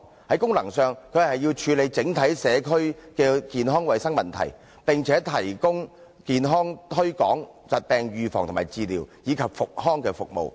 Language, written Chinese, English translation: Cantonese, 在功能上，它要處理整體社區的健康衞生問題，並且提供健康推廣、疾病預防及治療，以及復康服務。, Functionally it has to deal with health problems of the overall community and has to provide health promotion disease prevention and treatment as well as rehabilitation services